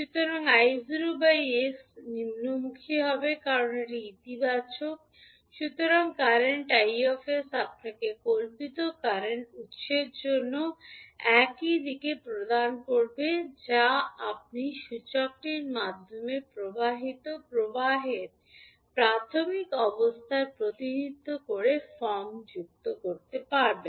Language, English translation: Bengali, So, I naught by s the direction will be downward because it is positive so, current i s will give you the same direction for fictitious current source which you will add form representing the initial condition of current flowing through the inductor